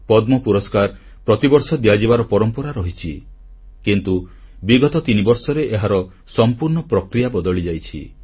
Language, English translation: Odia, There was a certain methodology of awarding Padma Awards every year, but this entire process has been changed for the past three years